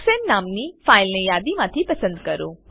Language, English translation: Gujarati, Select the file named Hexane from the list